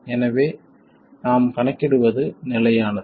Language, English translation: Tamil, So, what we calculate is consistent with that